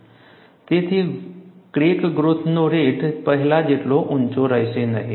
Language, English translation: Gujarati, So, the rate of crack growth will not be as high as it was before